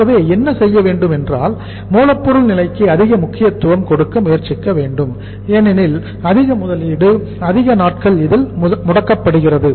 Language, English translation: Tamil, So what we should do here that we should try to give more importance to the raw material stage because more investment, blocked for more number of days